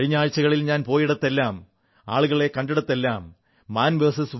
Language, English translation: Malayalam, In the last few weeks wherever I went and met people, 'Man vs